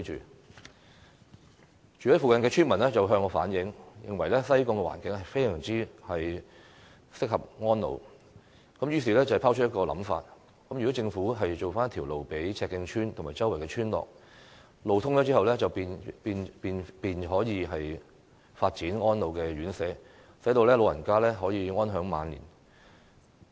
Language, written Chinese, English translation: Cantonese, 有住在附近的村民向我反映，指西貢環境適合安老，因而拋出一個想法，希望政府為赤徑村及附近村落興建道路，當路通後，便可以發展安老院舍，讓長者安享晚年。, Villagers who live in the vicinity have relayed to me that the environment of Sai Kung is suitable for the elderly to spend their twilight years . They therefore propose that the Government should build roads to connect Chek Keng Village and nearby villages and upon the commissioning of roads elderly homes can be built for elderly persons to spend their twilight years in contentment